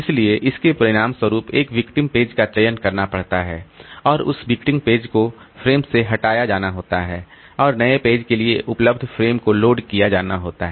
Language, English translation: Hindi, So, as a result, it has to select a victim page and that victim page has to be removed from the frame and the frame made available for the new page to be loaded